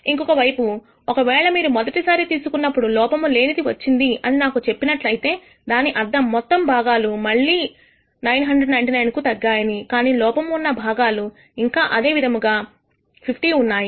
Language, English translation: Telugu, On the other hand, if you tell me that the first draw is non defective which means the total number of parts again as reduce to 999, but the number of defective parts in the pool still remains at 50